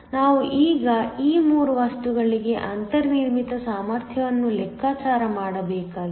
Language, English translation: Kannada, So, We now need to calculate the built in potential for these 3 materials